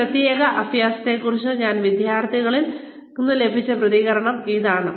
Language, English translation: Malayalam, This is the feedback; I have received from my students, about this particular exercise